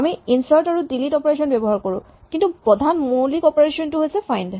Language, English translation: Assamese, So, we will also have insert and delete as operations, but the main fundamental operation is find